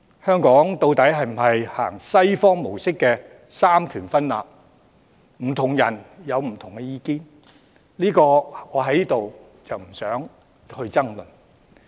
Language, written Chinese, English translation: Cantonese, 香港究竟是否奉行西方模式的三權分立，不同人有不同意見，我不想在此爭論。, Whether the Western mode of separation of powers applies to Hong Kong is a matter of opinion among different people and a debate into which I have no wish to wade now